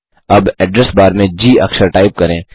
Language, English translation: Hindi, Now, in the Address bar, type the letter G